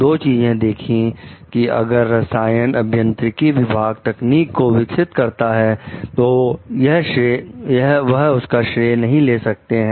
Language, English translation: Hindi, Two things even if the chemical engineering department is developing the technology, they are not taking the credit of it